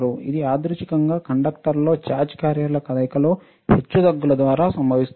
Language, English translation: Telugu, It is caused by the random fluctuations in the motion of carrier charged carriers in a conductor